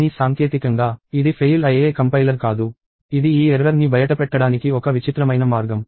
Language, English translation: Telugu, But technically, it is not the compiler which fails; it is just that it is a bizarre way of giving this error out